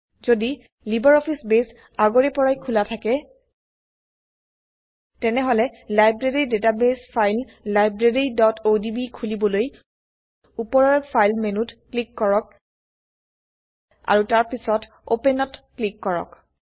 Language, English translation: Assamese, If LibreOffice Base is already open, Then we can open the Library database file Library.odb by clicking on the File menu on the top and then clicking on Open